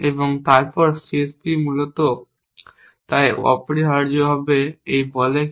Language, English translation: Bengali, And then solving the CSP essentially so essentially what this says